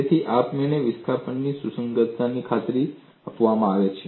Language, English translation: Gujarati, So, automatically the compatibility of displacement is guaranteed